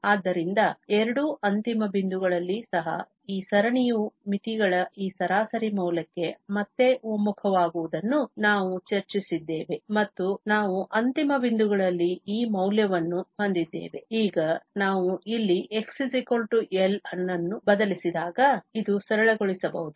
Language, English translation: Kannada, So, at both the end points also, we have discussed the convergence that again this series converges to this average value of the limits and thus, we have this value at the end points, now, when we substitute here x is equal to L this will be simplified